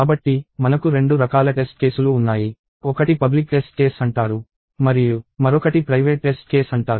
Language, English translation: Telugu, So, we have two kinds of test cases: one is called public test case; and another is called private test case